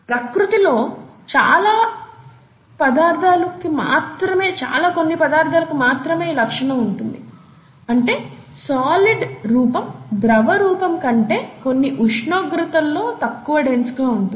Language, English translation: Telugu, Not many other substances in nature have this property where the solid is, solid form is less dense than the liquid form, at least at certain temperatures